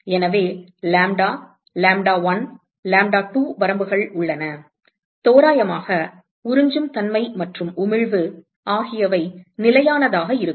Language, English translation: Tamil, So, there is a range of lambda, lambda1, lambda2 let us say, where approximately the absorptivity and emissivity they remain constant